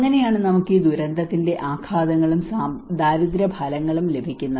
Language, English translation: Malayalam, So that is how we have this disaster impacts and poverty outcomes